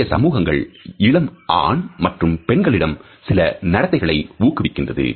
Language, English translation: Tamil, Many societies for example encourage certain behavior in young boys and in young girls